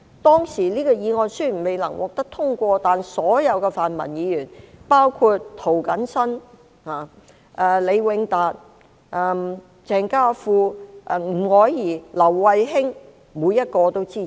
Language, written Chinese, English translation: Cantonese, "當時這項議案雖然未能獲得通過，但所有泛民議員，包括涂謹申議員、李永達議員、鄭家富議員、吳靄儀議員、劉慧卿議員，每一位都支持。, Although the motion was not passed at that time all the Members of the Democratic camp including Mr James TO Mr LEE Wing - tat Mr Andrew CHENG Miss Margaret NG and Miss Emily LAU supported it